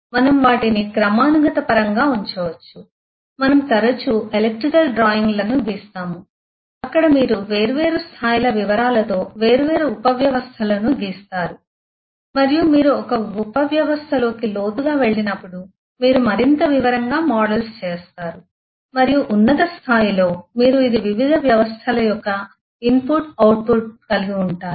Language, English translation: Telugu, We can put them in hierarchal terms, we have often drawn electrical drawings where you will have different subsystems drawn at different levels of details and as you go deeper into a subsystem, you do more and more detailed models and at the top level you just have this is the input, output of different systems